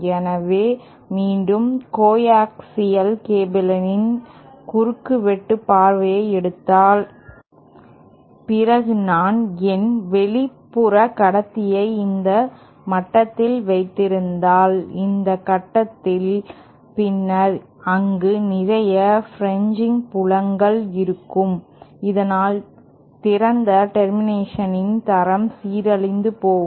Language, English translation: Tamil, So, again suppose it take a cross sectional view of my coaxial cable and say if I have have my outer conductor just at this level, this point, then there will be a lot of fringing fields and this will cause the quality of the open termination to degrade